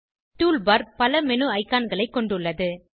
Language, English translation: Tamil, Tool bar has a number of menu icons